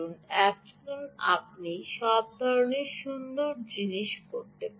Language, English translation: Bengali, now you can do all kinds of nice things